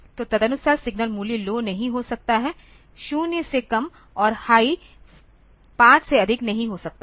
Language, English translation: Hindi, So, the accordingly the signal value cannot be the low cannot be lower than 0 and high cannot be more than 5